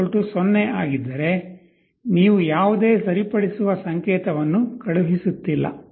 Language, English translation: Kannada, So, if e = 0, then you are not sending any corrective signal